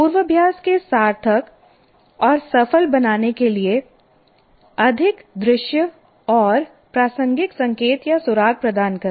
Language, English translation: Hindi, Provide more visual and contextual cues are clues to make rehearsal meaningful and successful